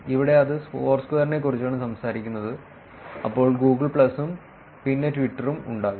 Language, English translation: Malayalam, Here it is talking about Foursquare then there would be about Google plus and then Twitter